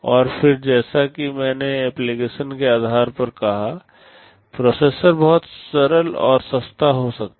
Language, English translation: Hindi, And again just as I said depending on the application, processor can be very simple and inexpensive